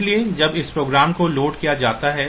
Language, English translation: Hindi, So, this the program when it is loaded